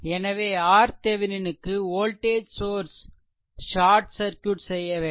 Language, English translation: Tamil, So, for R Thevenin that voltage source is short circuited right